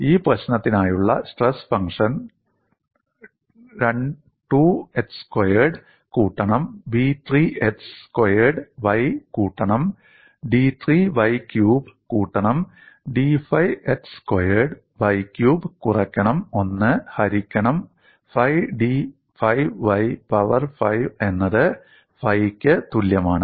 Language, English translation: Malayalam, The stress function for this problem is given as phi equal to a 2 x square plus b 3 x squared y plus d 3 y cube plus d 5 x square y cube minus 1 by 5 d 5 y power 5